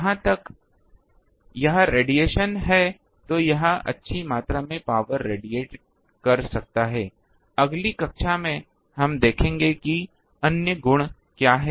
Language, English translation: Hindi, As far as it is radiation it can radiate good amount of power, we will see what is it is other properties in the next class